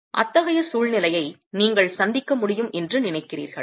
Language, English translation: Tamil, Do you think you can encounter that sort of a situation